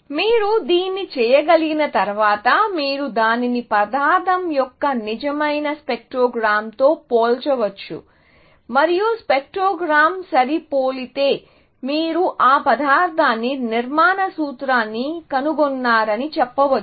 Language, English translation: Telugu, Once you can do that, you can compare it with a real spectrogram of the material, and if the spectrogram matches, then you can say that you have found the structural formula for that material